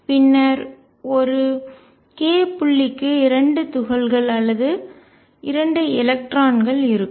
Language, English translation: Tamil, Then there will be 2 particles or 2 electrons per k point